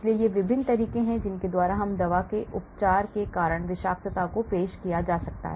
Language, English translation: Hindi, so these are the various ways by which toxicity could be introduced because of the drug treatment